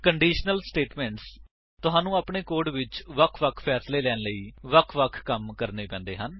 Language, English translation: Punjabi, Conditional statements You may have to perform different actions for different decisions in your code